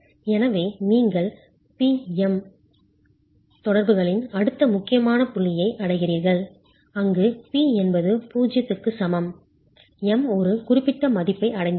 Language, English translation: Tamil, So then you reach the next critical point of the PM interaction where p is equal to 0, m has reached a certain value